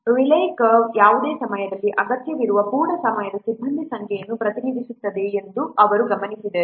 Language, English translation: Kannada, He observed that the Raleigh curve presents the number of full time personnel required at any time